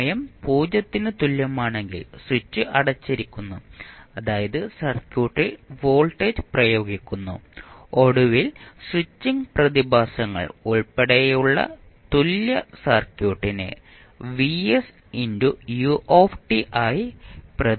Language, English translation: Malayalam, If at time t equal to 0 switch is closed means voltage is applied to the circuit and finally you will see that the equivalent circuit including the switching phenomena can be represented as vs into ut